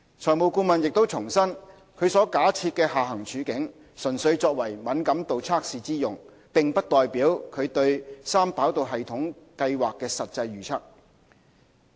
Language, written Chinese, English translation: Cantonese, 財務顧問亦重申，其所假設的下行處境，純粹作為敏感度測試之用，並不代表其對三跑道系統計劃的實際預測。, The financial advisor also reiterated that these hypothetical downside scenarios were for sensitivity testing purpose only and did not reflect its expectation of possible outcomes